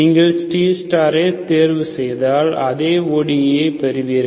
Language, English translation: Tamil, If you choose C star is also zero, you get the same ODE, okay